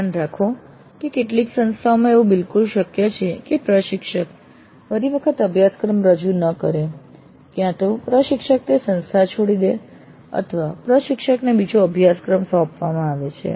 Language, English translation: Gujarati, Now notice that in some of the institutes it is quite possible that the instructor may not be offering the course next time either because the instructor leaves this institute or there is a different course which is assigned to this instructor